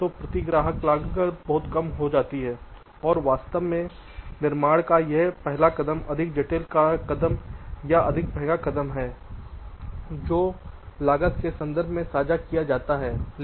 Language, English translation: Hindi, ok, so the per customers cost become much less and in fact this first step of fabrication is the more complex step or the more expensive step which is shared in terms of cost